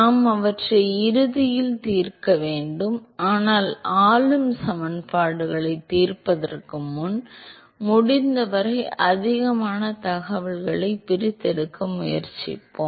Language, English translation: Tamil, We have to solve them eventually, but we going to first let us try to extract as much information as possible before solving the governing equations